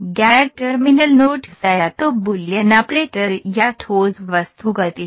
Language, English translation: Hindi, Non terminal nodes are either Boolean operation or a solid object motion